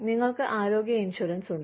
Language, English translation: Malayalam, You have health insurance